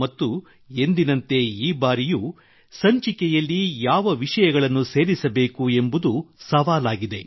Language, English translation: Kannada, And like always, this time as well, selecting topics to be included in the episode, is a challenge